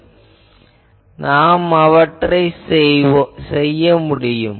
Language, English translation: Tamil, So, I will be able to do that